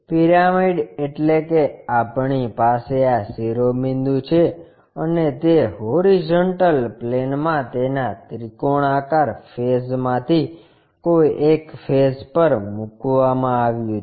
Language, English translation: Gujarati, Pyramid means we have this apex or vertex and it is placed on one of its triangular faces on horizontal plane